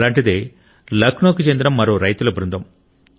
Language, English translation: Telugu, One such group of farmers hails from Lucknow